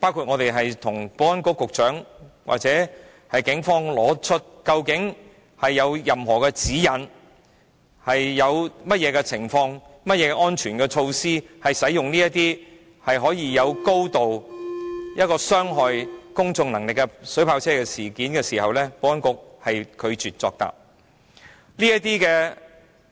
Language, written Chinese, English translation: Cantonese, 我們曾詢問保安局和警方有否任何指引，規限在甚麼情況下才使用這種對公眾有高度傷害性的水炮車，以及有何安全措施，保安局皆拒絕作答。, Without a clear and transparent guideline We once asked the Security Bureau and the Police whether any guideline had been formulated to specify the circumstances of using such a highly injurious devise as water cannon vehicles against the public and also what safety measures would be put in place . But the Security Bureau refused to give an answer